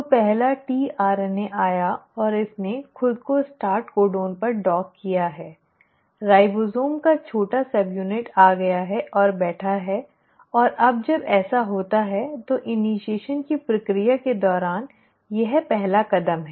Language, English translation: Hindi, So the first tRNA has come and it has docked itself onto the start codon, the small subunit of ribosome has come in sitting, and now when this happens, this is the first step during the process of initiation